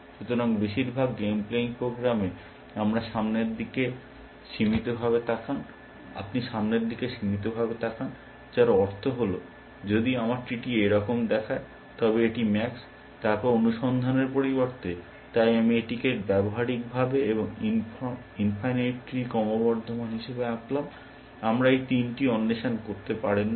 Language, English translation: Bengali, So, in most game playing programs, you do a limited look ahead, which means, that if my tree looks like this, this is max, then instead of search, so I have drawn with this as a practically, and infinite tree growing exponentially, we cannot explore this threes